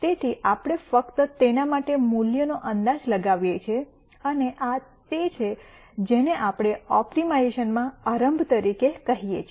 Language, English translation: Gujarati, So, we simply guess a value for that and this is what we call as initialization in the optimization